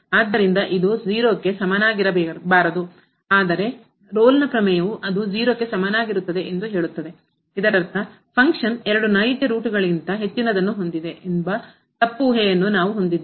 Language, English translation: Kannada, So, it cannot be equal to 0, but the Rolle’s Theorem says that it will be equal to 0; that means, we have a assumption which was that the function has more than two real roots is wrong